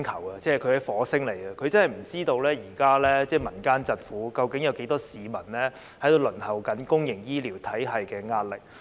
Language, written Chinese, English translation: Cantonese, 他是來自火星的，他真的不知道現在民間疾苦，究竟有多少市民因為輪候公營醫療服務而承受壓力。, He really has no idea about the sufferings of the people or about how many people are under pressure because they have to wait for public healthcare services